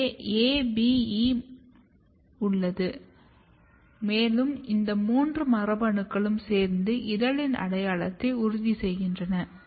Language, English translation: Tamil, So, you have A B and E and these three genes together ensures petal identity